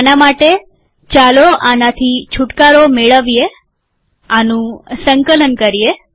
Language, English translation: Gujarati, For this, lets get rid of these, lets compile this